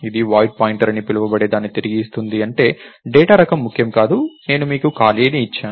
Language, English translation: Telugu, So, it returns something called a void pointer which means, the data type is not important, I have given you space